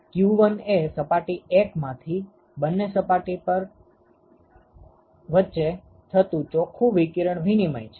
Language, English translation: Gujarati, So, that is the net radiation exchange between these two surfaces ok